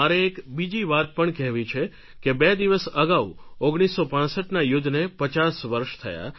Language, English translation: Gujarati, Two days back we completed the 50 years of the 1965 war